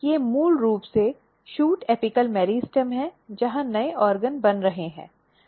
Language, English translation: Hindi, These are basically shoot apical meristem where new organs are being formed